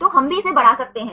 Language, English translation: Hindi, So, that also we can increase it